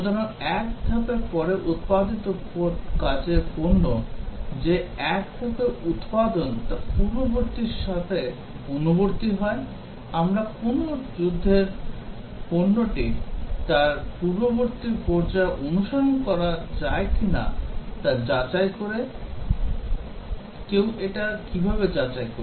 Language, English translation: Bengali, So, whether the output of one phase that is the work product produced after one phase conforms to it is a previous phase, we verify whether a war product conforms to its previous phase, how does one verify